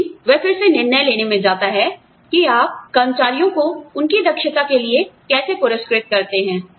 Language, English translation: Hindi, But, that again, goes in to deciding, how you reward employees, for their competence